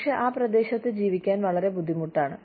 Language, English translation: Malayalam, But, it is very difficult to live in that region